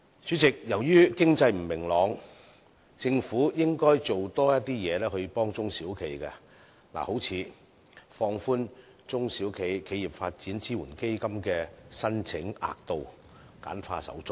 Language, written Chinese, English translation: Cantonese, 主席，由於經濟不明朗，政府應多做工作來幫助中小企，例如放寬"中小企業發展支援基金"的申請額度，簡化手續。, President owing to economic uncertainties the Government should do more to help SMEs such as increasing the amount of grant and streamlining the application procedures under the SME Development Fund